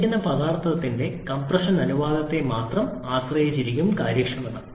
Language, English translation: Malayalam, The efficiency is depending only on the compression ratio for a given substance